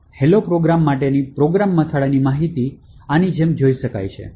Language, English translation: Gujarati, So, the program header information for the hello program could be viewed like this